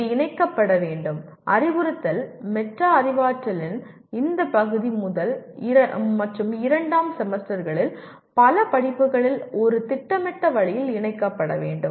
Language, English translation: Tamil, And this should be incorporated, this part of instruction metacognition should be incorporated in a preplanned way in several courses in the first and second semesters